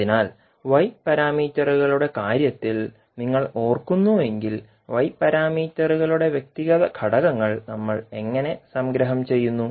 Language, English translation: Malayalam, So, if you recollect in case of Y parameters how we compile the individual elements of Y parameters